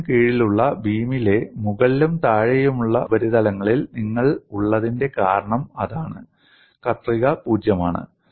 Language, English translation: Malayalam, That is the reason why you have on the top and bottom surfaces of the beam under bending, shear is 0